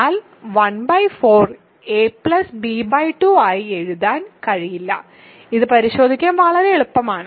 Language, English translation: Malayalam, But 1 by 4 cannot be written as a plus b by 2 that is very easy to check